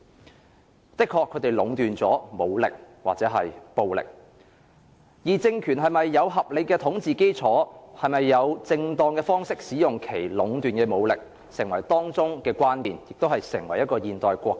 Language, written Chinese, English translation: Cantonese, 國家或政府的確壟斷了武力或暴力，而政權是否有合理的統治基礎、是否以正當的方式使用其壟斷的武力，便成為當中的關鍵，亦為爭議所在。, It is beyond doubt that states or governments monopolize physical force or violence . Hence the legitimate basis of ruling powers and the appropriateness of their use of the monopolized force are the key considerations and the sources of controversy as well